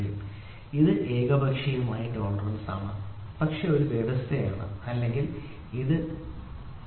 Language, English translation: Malayalam, So, here it is unilateral tolerance this is one condition or it can be like this 0